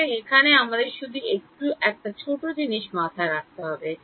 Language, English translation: Bengali, So, there is just some small thing to keep in mind